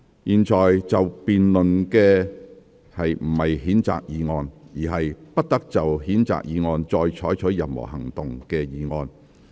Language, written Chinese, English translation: Cantonese, 現在要辯論的不是譴責議案，而是"不得就譴責議案再採取任何行動"的議案。, The motion to be debated is the one that no further action shall be taken on the censure motion instead of the censure motion